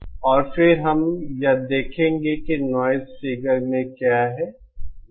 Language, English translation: Hindi, And then we will also see what is in noise figure